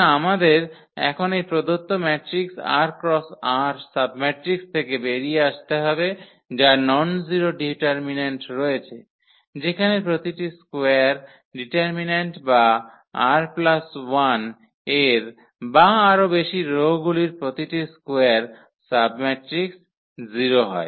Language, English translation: Bengali, So, we have to now get out of these given matrix r cross r submatrix which has the nonzero determinant whereas, the determinant of every square determinant or every square submatrix of r plus 1 or more rows is 0